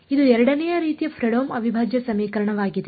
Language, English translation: Kannada, This is a Fredholm integral equation of second kind